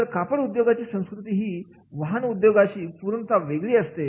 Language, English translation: Marathi, So, the culture of the textile industry is totally different than the automobile industry